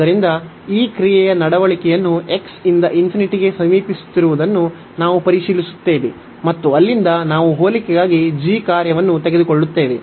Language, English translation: Kannada, So, we will check the behavior of this function as x approaching to infinity, and from there we will take the function g for the comparison